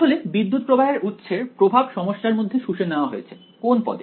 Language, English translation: Bengali, Actually the influence of the current source has been absorbed into the problem in which term